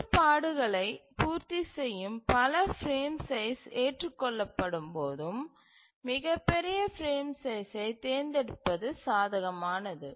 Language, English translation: Tamil, So, it is advantageous for us to select the largest frame size when multiple frame sizes are acceptable which meet the constraints